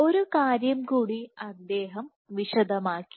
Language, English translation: Malayalam, One more point he demonstrated